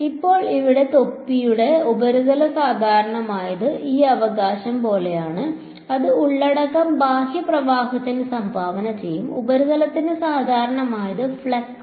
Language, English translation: Malayalam, Now what is the surface normal for the cap over here is like this right that is what is content will contribute to the outward flux, what is normal to the surface is flux